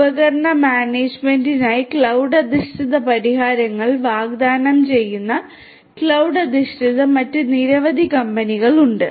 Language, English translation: Malayalam, There are many other companies which do cloud based which offer cloud based solutions for device management right, offer cloud based solutions for device management